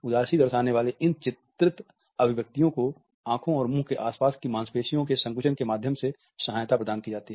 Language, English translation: Hindi, These expressions which are portrayed for being sad are assisted through the contraction of the muscles around eyes and mouth